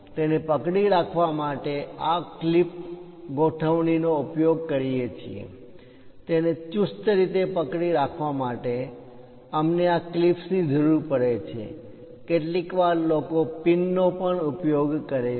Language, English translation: Gujarati, To hold it, we use this clip arrangement ; to hold it tightly, we require these clips, sometimes people use pins also